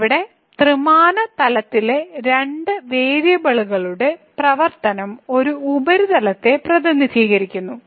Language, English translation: Malayalam, So, this a function of two variables in 3 dimensional plane here represents a surface